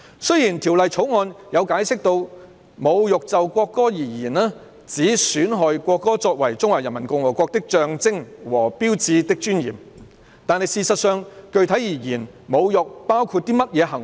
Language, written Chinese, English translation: Cantonese, 雖然《條例草案》有解釋，"侮辱就國歌而言，指損害國歌作為中華人民共和國的象徵和標誌的尊嚴"，但具體而言，侮辱包括甚麼行為？, Despite the explanation in the Bill that insult in relation to the national anthem means to undermine the dignity of the national anthem as a symbol and sign of the Peoples Republic of China specifically what behaviours does insult include?